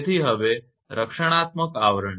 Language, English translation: Gujarati, So, now protective covering